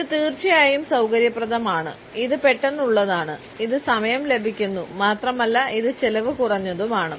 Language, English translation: Malayalam, It is convenient of course, it is quick also it saves time and it is cost effective also